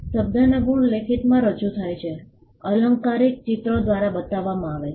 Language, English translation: Gujarati, Word marks are represented in writing; figurative marks are shown by pictures